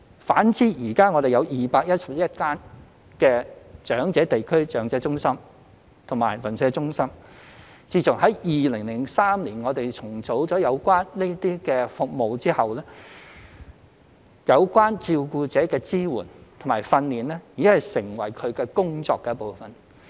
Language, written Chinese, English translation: Cantonese, 反之，現時我們全港有211間長者地區中心/長者鄰舍中心，自從在2003年重組這些有關服務後，照顧者的支援和培訓已成為其工作的一部分。, On the other hand we have set up 211 District Elderly Community CentresNeighbourhood Elderly Centres across the territory which are tasked to provide carer support and training after the re - engineering of the relevant services in 2003